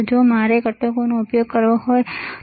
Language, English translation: Gujarati, If I want to use these components, right